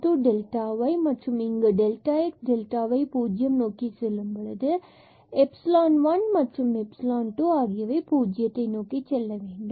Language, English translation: Tamil, Plus, this epsilon times delta x plus epsilon 2 times delta y, and here epsilon and epsilon 2 must go to 0 as delta x and delta y go to 0